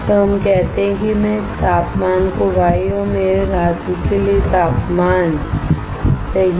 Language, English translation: Hindi, So, let us say I call this temperature Y and the temperature for my metal, right